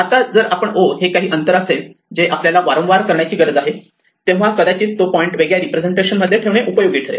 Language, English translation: Marathi, Now if o distance is something that we need to do often, then may be it's useful to just keep the point in a different representation